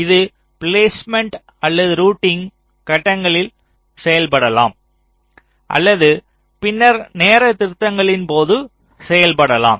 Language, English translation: Tamil, this can be done either during placement or routing stages, or also can be done later on during timing corrections